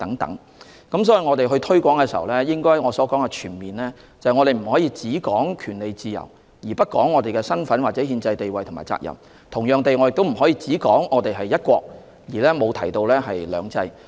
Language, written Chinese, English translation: Cantonese, 所以，當我們進行推廣工作時，我所指的全面推廣是，我們不可只談權利自由，而不談身份、憲制地位或責任；同樣地，我亦不可只談"一國"，而不提"兩制"。, So when I say our promotion work will be comprehensive I mean we cannot emphasize only our rights and freedom and ignore our identity constitutional status and duties; similarly I cannot only mention one country and disregard two systems